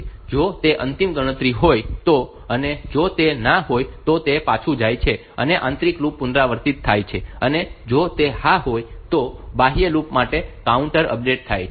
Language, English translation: Gujarati, And if this is the final count, if it is no it goes back the inner loop is repeated, if it is yes then the counter for the outer outer loop is in the updated